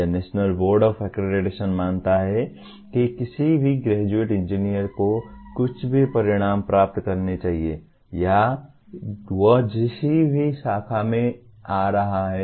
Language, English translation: Hindi, That is the National Board Of Accreditation considers there are certain outcomes any graduate engineer should attain, irrespective of the branch from which he is coming